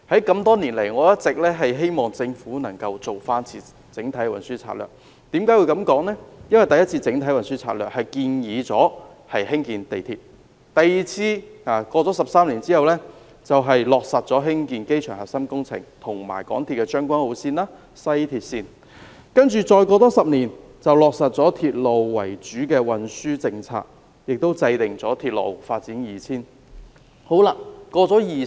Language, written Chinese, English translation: Cantonese, 我多年來一直希望政府能夠再進行一次整體運輸研究，因為第一次的整體運輸研究建議興建地鐵 ；13 年後，第二次的整體運輸研究落實興建機場核心工程及港鐵將軍澳線、西鐵線；在再接着的10年，落實了"鐵路為主"的運輸政策，亦制訂了《鐵路發展策略2000》。, The first comprehensive transport study proposed the construction of underground railway . The second comprehensive transport study was conducted 13 years later and it looked into the construction of MTRCLs Tseung Kwan O Line and West Rail Line . And in the following 10 years the Government implemented a rail - based transport policy and formulated the Railway Development Strategy 2000